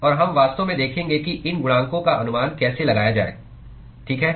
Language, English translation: Hindi, And we will actually see how to estimate these coefficients, okay